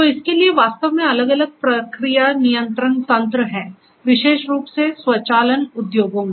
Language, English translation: Hindi, So, for this actually there are different different process control mechanisms are there particularly, in automation industries